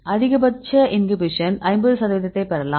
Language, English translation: Tamil, So, we calculate the 50 percent of the inhibition